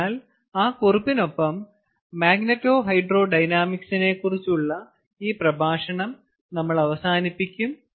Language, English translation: Malayalam, so we will end this lecture on magneto hydro dynamics